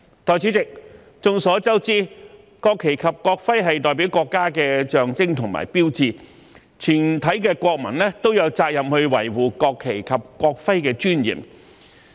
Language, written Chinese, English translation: Cantonese, 代理主席，眾所周知，國旗及國徽是國家的象徵和標誌，全體國民都有責任維護國旗及國徽的尊嚴。, Deputy President it is common knowledge that the national flag and national emblem are the symbols and signs of our country that every citizen has the duty to safeguard their dignity